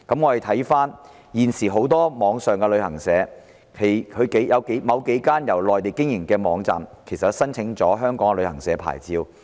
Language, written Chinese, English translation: Cantonese, 環顧現時很多網上旅行社，當中某幾間由內地經營，確實申請了香港的旅行社牌照。, Regarding the current numerous online travel agents a number of them which operate in the Mainland have indeed applied for Hong Kongs travel agent licences